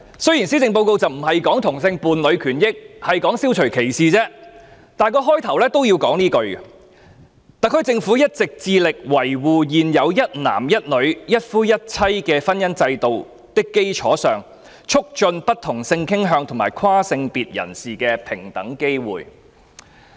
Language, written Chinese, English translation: Cantonese, 雖然施政報告的相關段落並非談論同性伴侶權益而是消除歧視的問題，但也要開宗明義寫下這句話："特區政府一直致力在維護現有一男一女、一夫一妻的婚姻制度的基礎上，促進不同性傾向和跨性別人士的平等機會"。, Such a model answer has also been included in the Policy Address this year and although the relevant paragraph did not discuss the rights and interests of homosexual couples but talked about anti - discrimination measures it started by saying The HKSAR Government has been committed to promoting equal opportunities for people of different sexual orientations and transgenders on the basis of upholding the existing institution of monogamy and heterosexual marriage